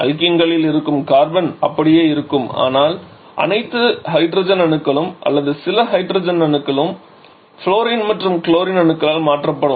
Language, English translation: Tamil, The idea is the carbon that is there in the alkenes will remain the same but all the hydrogen atoms or maybe some of the hydrogen atoms will be replaced by fluorine and chlorine